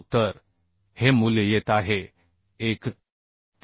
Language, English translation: Marathi, 1 so this value is coming 314